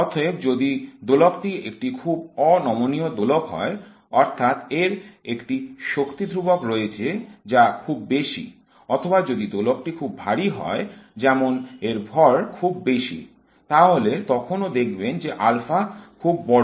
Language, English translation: Bengali, Therefore, if the oscillator is a very rigid oscillator, that is it has a force constant which is very high, or if the oscillator is very heavy, like its mass is very large, then you see alpha is also very large